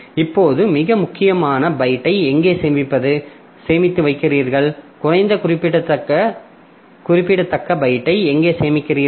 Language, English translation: Tamil, Now, where do you store the most significant byte and where do you store the least significant byte